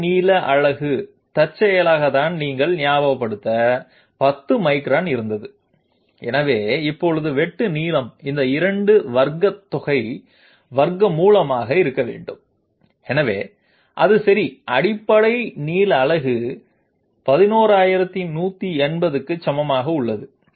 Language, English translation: Tamil, Basic length unit incidentally just to remind you was 10 microns, so now the length of cut okay, the length of cut must be the square root of their of the sum of squares of these 2 and therefore, it is equal to 11180 in basic length unit okay